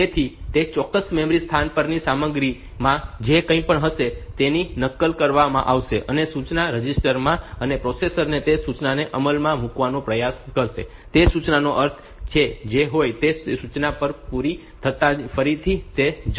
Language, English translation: Gujarati, So, that whatever is there in the content in that particular memory location, it will be copied and into the instruction register and processor will try to execute that instruction; again after whatever be the meaning of that instruction as soon as that instruction is over